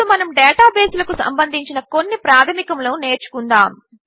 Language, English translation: Telugu, Let us now learn about some basics of databases